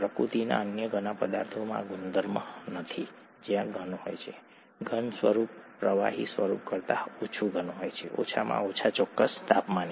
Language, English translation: Gujarati, Not many other substances in nature have this property where the solid is, solid form is less dense than the liquid form, at least at certain temperatures